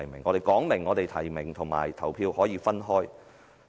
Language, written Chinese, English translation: Cantonese, 我們已明言，提名和投票是可以分開的。, As we have stated nomination and voting can be separated